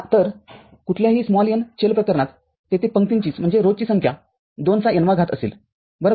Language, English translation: Marathi, So, for any n variable cases, will be having number of rows 2 to the power n right here